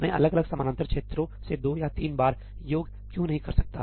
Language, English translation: Hindi, why cannot I do the summation twice or thrice from different parallel regions